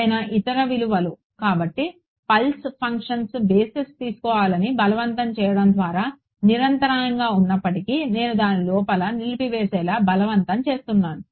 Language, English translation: Telugu, Some other value so, even though the function is continuous by forcing it to take to be on a pulse basis I am forcing it to be become discontinuous